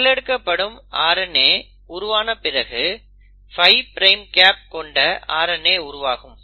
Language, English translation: Tamil, So when the RNA which is being copied is formed, you will have an RNA which will have a 5 prime cap